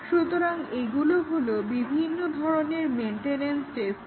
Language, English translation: Bengali, So, these are various maintenance testing it keeps